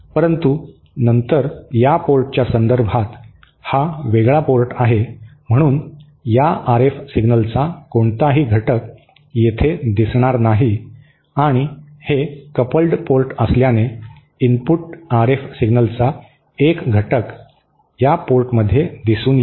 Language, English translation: Marathi, But then this is the isolated port with respect to this port, so no component of this RF signal will appear here and since this is the coupled port, a component of the input RF signal will appear at this port